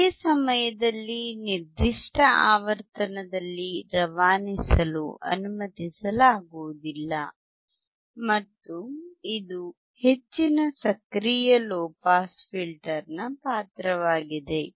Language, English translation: Kannada, At the same time at certain frequency to be not allowed to pass and this is the role of the high active filter low pass active filter